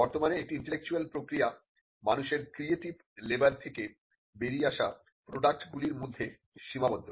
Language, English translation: Bengali, Currently an intellectual process is confined to the products that come out of human creative labour